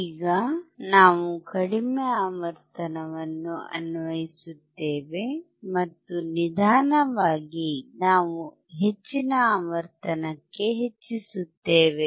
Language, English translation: Kannada, Now we will apply low frequency, and we keep on increasing to the high frequency